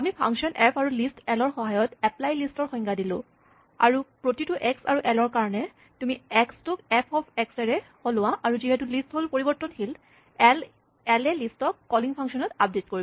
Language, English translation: Assamese, We could say, define apply list, which takes the function f and the list l, and for every x and l, you just replace this x by f of x; and since l, list is a mutable item, this will update list in the calling function as well